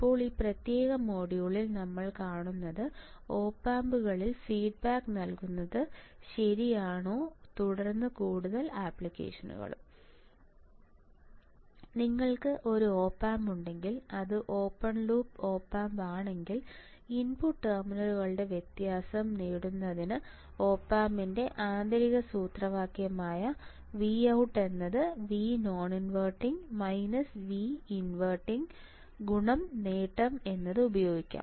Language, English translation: Malayalam, Now, in this particular module what we will see is feed back in op amps all right and then further applications also If you come on the screen what do you see is that If you have a op amp and if it is a open loop op amp like this, right, the internal formula of op amp is V out equals to gain into difference of the input terminals; that means, that my V out is nothing, but difference of this; difference of this difference of what V inverting on non inverting minus V inverting into gain